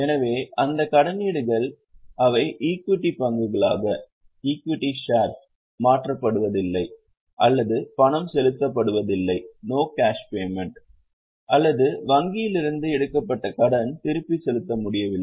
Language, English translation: Tamil, So, those debentures are debt, they are converted into equity shares, no cash payment, or there is a loan taken from bank and we are unable to make repayment